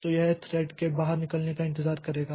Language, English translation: Hindi, So, it is wait for the thread to exit